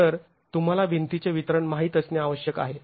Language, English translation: Marathi, So, you need to know the distribution of the walls